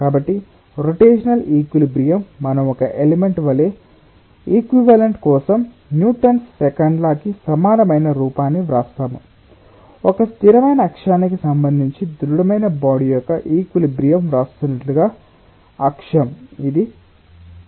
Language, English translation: Telugu, so rotational equilibrium, let us consider that as if it is an element where we will be writing an equivalent form of newtons second law for rotation, as if, like we are writing rotation of a rigid body with respect to a fixed axis, something like that: what the axis is this center